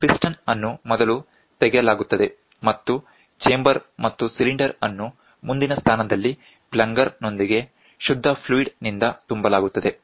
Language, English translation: Kannada, The piston is first removed, and the chamber and the cylinder are filled with clean fluid with the plunger in the forward position